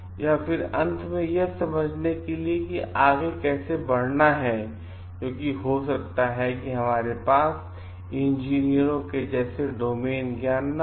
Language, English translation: Hindi, And then we are at last to understand how to proceed further, because we may not have the domain knowledge as the engineers do have